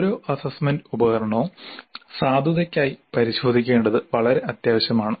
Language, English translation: Malayalam, So it is very essential that every assessment instrument be checked for validity